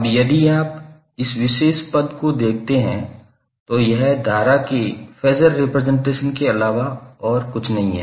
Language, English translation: Hindi, Now, if you see this particular term this is nothing but the phasor representation of current